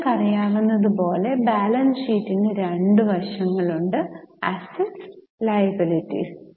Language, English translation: Malayalam, Balance sheet you know has two sides assets and liabilities